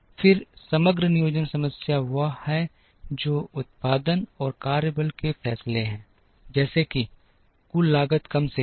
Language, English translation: Hindi, Then the aggregate planning problem is what are the production and workforce decisions, such that the total cost is minimized